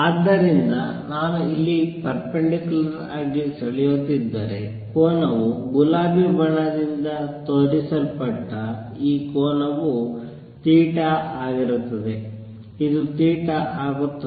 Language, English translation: Kannada, So, the angle would be if I draw perpendicular here this angle inside shown by pink is also going to be theta, this is going to be theta